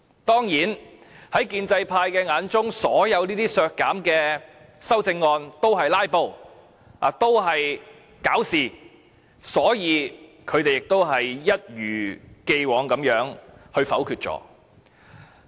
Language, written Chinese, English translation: Cantonese, 當然，在建制派眼中，所有削減撥款的修正案均是"拉布"和"搞事"，所以，他們一如既往地否決。, Of course in the eyes of the pro - establishment camp all amendments to reduce proposed appropriations were filibustering and trouble - making . As usual they had my amendment negatived . These two electoral officers can still happily receive their salaries every month